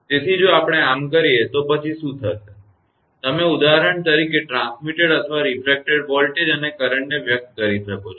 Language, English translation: Gujarati, So, if we do so, then what will happen, that you are for example the transmitted or refracted voltage and current can be expressed